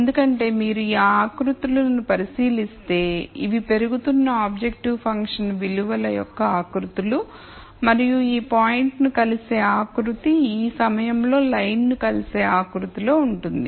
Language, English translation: Telugu, This is because if you look at these contours these are contours of increasing objective function values and the contour that intersects this point is within the contour that intersects the line at this point